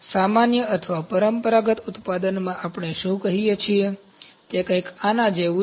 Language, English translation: Gujarati, In general or traditional manufacturing what we say, it is something like this